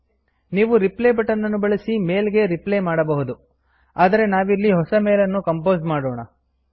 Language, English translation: Kannada, You can use the Reply button and reply to the mail, but here lets compose a new mail